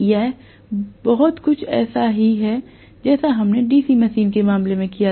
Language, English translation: Hindi, It is very similar to what we did in the case of a DC machine